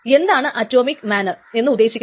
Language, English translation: Malayalam, So what does an atomic manner mean